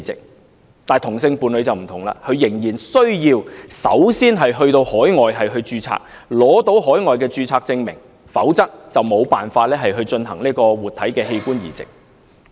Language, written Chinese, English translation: Cantonese, 然而，本港同性伴侶則不同，仍然需要首先在海外註冊，取得海外註冊證明，否則就無法進行活體器官移植。, Nevertheless homosexual couples in Hong Kong are treated differently . They still need to register overseas first to obtain certification of overseas registration otherwise it is impossible to carry out living organ transplants